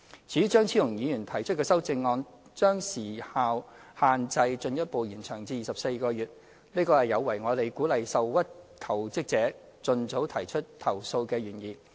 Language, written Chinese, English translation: Cantonese, 至於張超雄議員提出的修正案，將時效限制進一步延長至24個月，這有違我們鼓勵受屈求職者盡早提出投訴的原意。, As for the amendment put forward by Dr Fernando CHEUNG which proposes a further extension of the time limit to 24 months it runs counter to our original intent of encouraging aggrieved jobseekers to file complaints as soon as possible